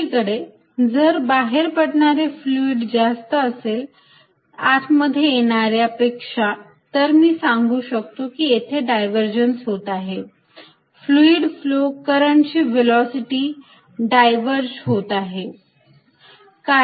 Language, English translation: Marathi, On the other hand if fluid going out is greater than fluid coming in I will say this divergent, the fluid flow, the velocities of the current divergent